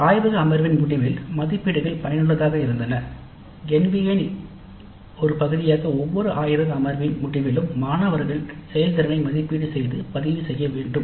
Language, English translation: Tamil, Now as a part of the NBA requirements also it is required that at the end of every laboratory session the students performance needs to be assessed and recorded